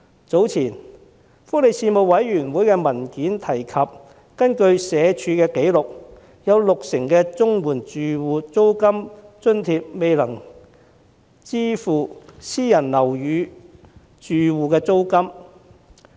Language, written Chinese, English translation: Cantonese, 早前發出的福利事務委員會文件提及，根據社會福利署的紀錄，有六成綜援申領家庭領取的租金津貼未足以支付私人樓宇住戶的租金。, As stated in the papers of the Panel on Welfare Services released earlier according to the records of the Social Welfare Department the rent allowance received by over 60 % of the CSSA recipient families is insufficient to cover the rent of private housing